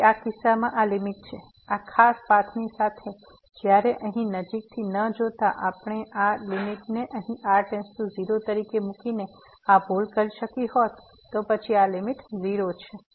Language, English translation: Gujarati, So, this is the limit in this case, along this particular path while by not closely looking at this here we could have done this mistake by putting taking this limit here as goes to 0 and then this limit is 0